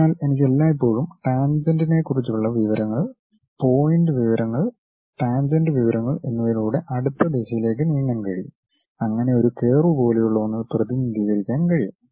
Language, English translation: Malayalam, So, all the time I need information about tangent, the point information the tangent information so that I can sweep in the next direction to represent something like a curve which can be fit in a smooth way as circle